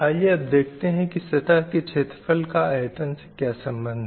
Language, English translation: Hindi, So let us see what is surface rate to volume ratio